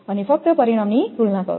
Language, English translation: Gujarati, And just compare the result